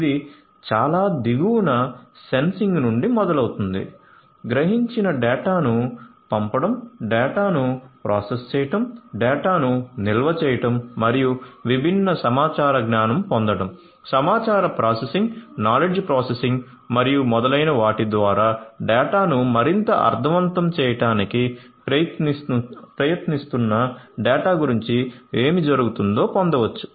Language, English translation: Telugu, It starts from Sensing at the very bottom; Sending the sensed data; Processing the data; Storing the data and getting different information knowledge etcetera about what is going on underneath from the data trying to make more sense out of the data, through information processing, knowledge processing and so on